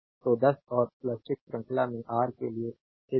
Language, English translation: Hindi, So, 10 and plus 6 these to R in series is